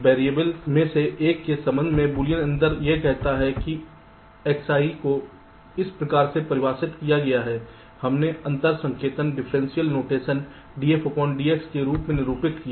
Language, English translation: Hindi, the boolean difference with respect to one of the variables, let say x, i is defined as follows: we denoted as the differential notation d, f, d, x, i